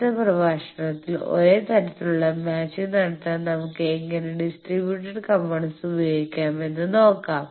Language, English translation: Malayalam, In the next lecture, we will see how we can use distributed components to do the same type of matching